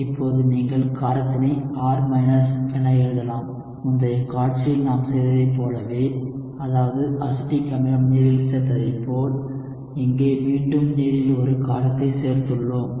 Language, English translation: Tamil, And now you can write [R ] in terms of the base and just like we had done for the previous slide, where we had added acetic acid in water, here again we have added a base in water